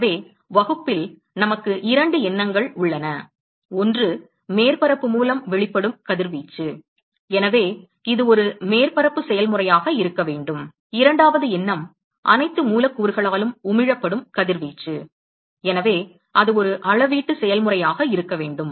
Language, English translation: Tamil, So, in the class we have got two thoughts: one is that radiation emitted by surface, so, it has to be a surface area process and the second thought we have got is radiation emitted by all the molecules, so, it has to be a volumetric process